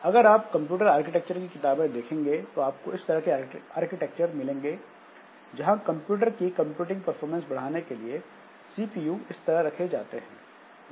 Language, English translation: Hindi, So if you look into any computer architecture books, you will find this type of architectures where the CPUs are placed in the computer to provide more computing performance